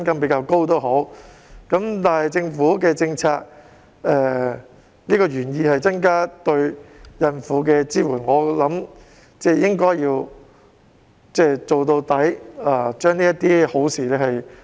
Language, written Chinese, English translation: Cantonese, 畢竟政府的政策原意是增加對孕婦的支援，我相信應該要做到底，落實這些好事。, After all the Governments policy intent is to enhance the support for pregnant women . I believe that the Government should make its fullest effort by implementing this good suggestion